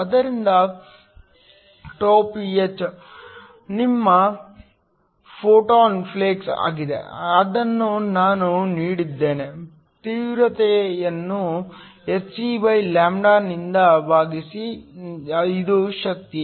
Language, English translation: Kannada, So, Γph is your photon flux, this is given by I is the intensity divided by hc which is the energy